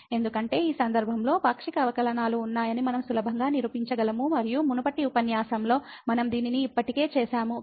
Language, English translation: Telugu, Because in this case we can easily a prove that the partial derivatives exist and we have already done this in previous lectures